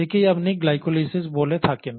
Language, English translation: Bengali, This is what you call as glycolysis